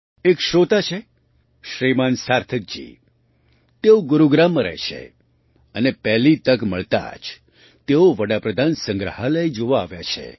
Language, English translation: Gujarati, One such listener is Shrimaan Sarthak ji; Sarthak ji lives in Gurugram and has visited the Pradhanmantri Sangrahalaya at the very first opportunity